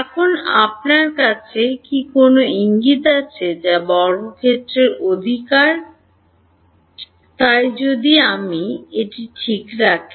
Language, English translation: Bengali, Now do you have a hint has to what a square right, so if I take it like this ok